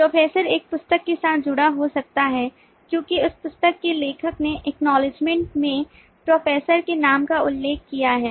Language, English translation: Hindi, professor could be associated with a book because the author of that book has mentioned the professor’s name in the acknowledgement